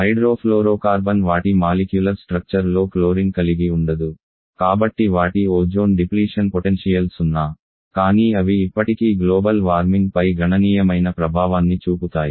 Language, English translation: Telugu, Whereas hydrofluorocarbon does not have included in the molecular structure so there ozone depletion potential is zero, but they still can have significant amount of effect on the global warming